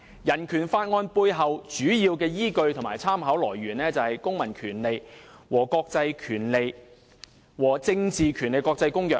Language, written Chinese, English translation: Cantonese, 《人權法案條例》背後的主要依據和參考來源，便是《公民權利和政治權利國際公約》。, The main basis and source of reference of BORO is the International Covenant on Civil and Political Rights ICCPR